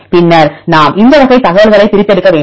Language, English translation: Tamil, So, then we have to extract this type of information